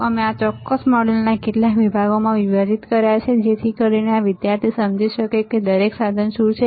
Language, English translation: Gujarati, We have divided these particular modules into several sections so that this student can understand what are each equipment